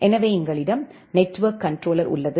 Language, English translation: Tamil, So, we have a network controller here